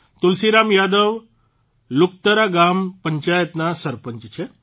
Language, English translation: Gujarati, Tulsiram Yadav ji is the Pradhan of Luktara Gram Panchayat